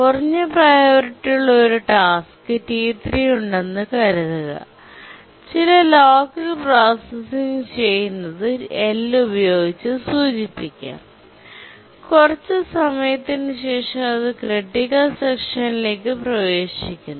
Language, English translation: Malayalam, We have a task T3 which is of low priority, does some local processing denoted by L and then after some time it gets into the critical section